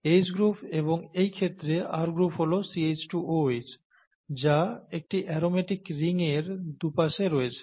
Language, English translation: Bengali, The H group here and the R group in this case happens to be the CH2 OH across a , across an aromatic ring here